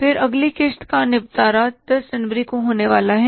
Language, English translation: Hindi, Then next settlement settlement is due in January 10